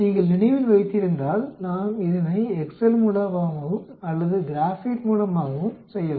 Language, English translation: Tamil, If you remember we can do it by excel also or in Graphpad also